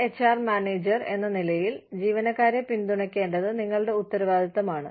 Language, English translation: Malayalam, As an HR manager, it is your responsibility, to support the employees